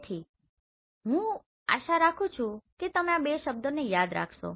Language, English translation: Gujarati, So I hope you remember this two terms